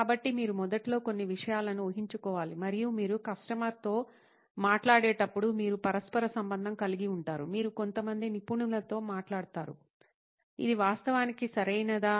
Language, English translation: Telugu, So you have to assume certain things initially and you can get it correlated when you talk to a customer, you talk to some experts, whether this actually makes sense